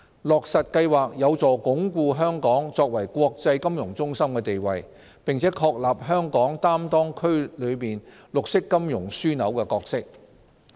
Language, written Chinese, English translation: Cantonese, 落實計劃有助鞏固香港作為國際金融中心的地位，並確立香港擔當區內綠色金融樞紐的角色。, Implementation of the Programme will help consolidate Hong Kongs status as an international financial centre and establish Hong Kong as a green finance hub in the region